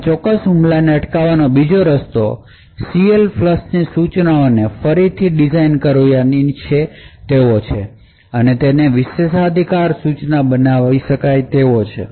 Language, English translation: Gujarati, Another way of preventing this particular attack is to redesign the instruction CLFLUSH and make it a privilege instruction